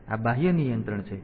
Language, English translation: Gujarati, So, this is external control